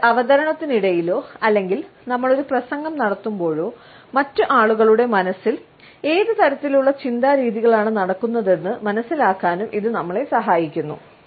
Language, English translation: Malayalam, It also helps us to understand, what type of thought patterns are going on in the minds of other people, during a presentation or while we are delivering a speech and we are able to look at our audience